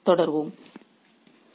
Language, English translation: Tamil, I'll continue in the next session